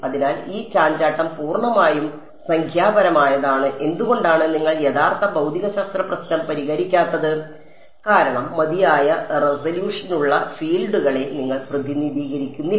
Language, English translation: Malayalam, So, this fluctuation is purely numerical; why because you are not actually solving a real physics problem because you are not representing the fields with sufficient resolution